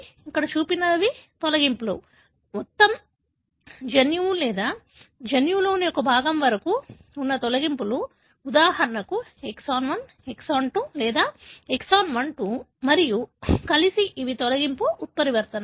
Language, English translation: Telugu, You have deletions, as you can see here, All that are shown here are deletions, the deletions spanning either the entire gene or a part of the gene, for example exon 1, exon 2 or exon 1, 2 and together these are deletion mutations